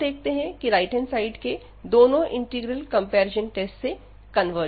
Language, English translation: Hindi, So, what we have observed now here that both the integrals on the right hand side, they both converges by this comparison test